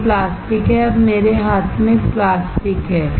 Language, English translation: Hindi, This is the plastic; this is a plastic in my hand